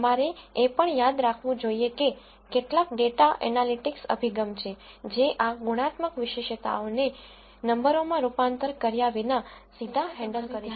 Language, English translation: Gujarati, You also have to remember that there are some data analytics approach, that can directly handle these qualitative features without a need to convert them into numbers and so on